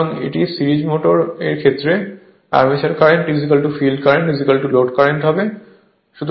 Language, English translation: Bengali, So, this is series motor in the series motor armature current is equal to field current is equal to load current